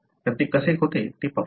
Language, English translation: Marathi, So, let us see how does it do